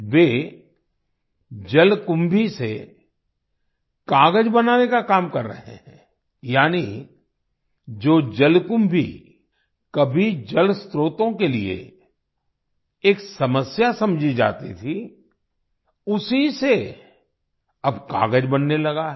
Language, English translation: Hindi, They are working on making paper from water hyacinth, that is, water hyacinth, which was once considered a problem for water sources, is now being used to make paper